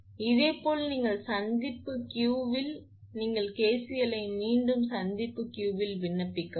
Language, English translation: Tamil, Similarly, you at junction Q, you please apply again KCL at junction Q you please apply KCL